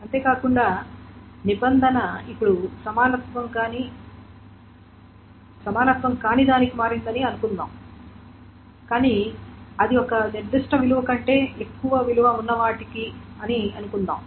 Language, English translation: Telugu, Moreover, suppose the condition is now changed to not equality but it is, let us say, greater than a particular value